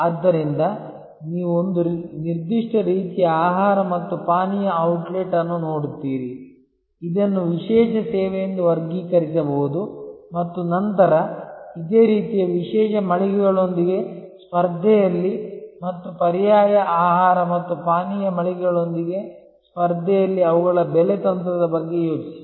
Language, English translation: Kannada, So, you look at a particular type of food and beverage outlet, which can be classified as a specialized service and then, think about their pricing strategy in competition with similar specialized outlets as well as in competition with alternative food and beverage outlets